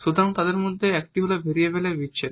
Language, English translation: Bengali, The first one is the separation of variables